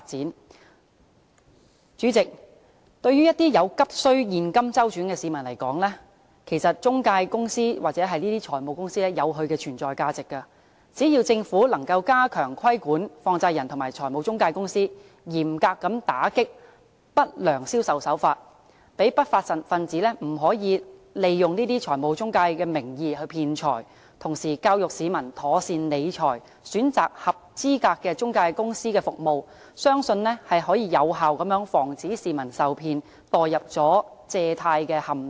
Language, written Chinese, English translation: Cantonese, 代理主席，對於一些急需現金周轉的市民來說，其實中介公司或財務公司有其存在價值，只要政府能夠加強規管放債人及財務中介公司，嚴格打擊不良銷售手法，令不法分子不能以財務中介名義騙財，同時教育市民妥善理財，選擇合資格的中介公司的服務，相信將有效防止市民受騙，墮入借貸陷阱。, Deputy President for some people in urgent need of cash intermediaries or finance companies indeed serve a purpose in existence so long as the Government can step up the regulation of money lenders and financial intermediaries clamp down on unscrupulous sales practices to prevent the unruly elements from cheating money in the name of financial intermediaries while educating members of the public on proper management of their money and choosing services provided by qualified intermediaries I believe it can effectively prevent members of the public from being cheated and falling into loan traps